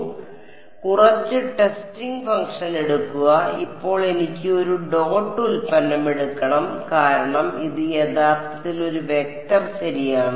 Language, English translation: Malayalam, So, take some mth testing function, now I must take a dot product because this F H is actually a vector right